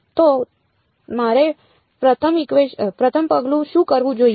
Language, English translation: Gujarati, So, what is the first step I should do